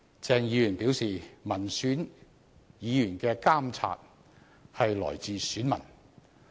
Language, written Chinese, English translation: Cantonese, 鄭議員表示，民選議員的監察來自選民。, According to Dr CHENG a Member elected by members of the public should be subject to the scrutiny of voters